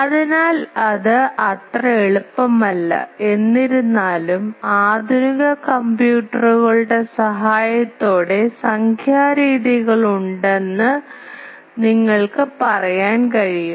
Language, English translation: Malayalam, So, it is not so easy, though today you can say that with the help of modern computers there are numerical methods